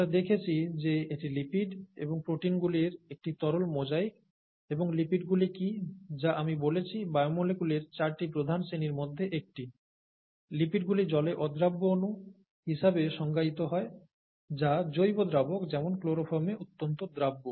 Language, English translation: Bengali, We saw that it was a fluid mosaic of lipids and proteins and we saw what are lipids, which I said was one of the four major classes of biomolecules and they are defined as, lipids are defined as water insoluble molecules which are very highly soluble in organic solvents such as chloroform